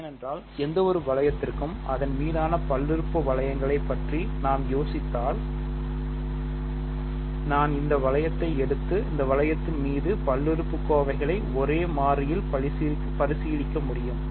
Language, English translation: Tamil, Because we have talked about polynomial rings over any ring, I will I can take this ring and consider polynomials over this ring in one variable